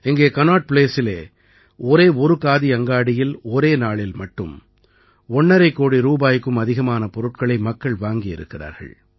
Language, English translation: Tamil, Here at Connaught Place, at a single Khadi store, in a single day, people purchased goods worth over a crore and a half rupees